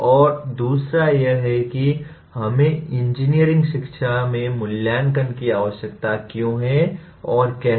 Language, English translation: Hindi, And second one is why do we need to be concerned with assessment in engineering education and how